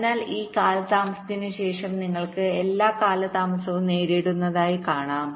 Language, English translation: Malayalam, so after this delay you can see that this t w, everything as getting delayed